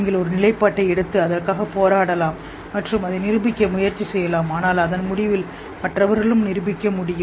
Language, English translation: Tamil, You can take a stance and fight for it and try to prove it but at the end of it other people can also prove